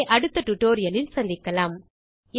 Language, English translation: Tamil, We will continue this discussion in the next tutorial